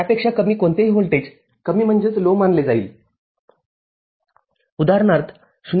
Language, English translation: Marathi, Any voltage less than that will be treated as low, in that example 0